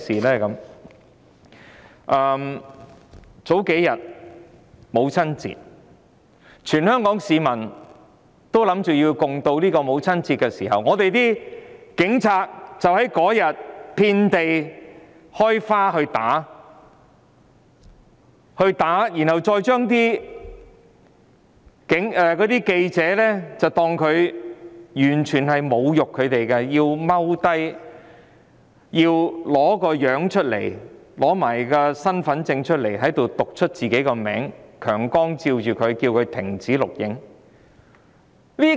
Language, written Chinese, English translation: Cantonese, 數天前的母親節，全港市民原本想歡度母親節，但警察當天就"遍地開花"打市民，侮辱記者，要記者蹲下來，要他們拿出身份證逐一讀出自己的名字，又用強光照射他們，要他們停止錄影。, A few days ago it was Mothers Day on which people in Hong Kong were prepared to celebrate . However on that day the Police assaulted people across the territory . They insulted the reporters required them to squat told them to take out their Identity Cards and read out their names one by one